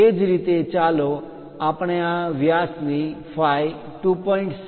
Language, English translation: Gujarati, Similarly let us look at this diameter phi 2